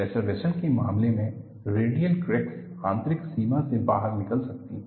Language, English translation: Hindi, So, in the case of pressure vessels, radial cracks can emanate from the inner boundary